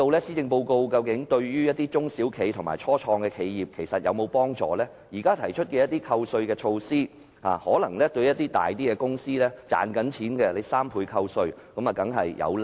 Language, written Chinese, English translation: Cantonese, 施政報告對中小企及初創企業有否幫助﹖現時提出的3倍扣稅措施，對一些較大型並有盈利的公司當然有利。, Can the Policy Address offer help to SMEs and start - ups? . The proposed measure of a 300 % tax deduction will certainly benefit some larger and profitable companies